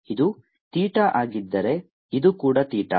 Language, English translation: Kannada, if this is theta, this is also theta